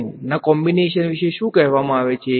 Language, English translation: Gujarati, What about combination of sine and cos what are they called